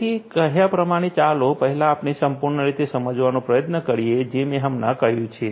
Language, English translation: Gujarati, So, having said that let us first try to understand as a whole, what I have just mentioned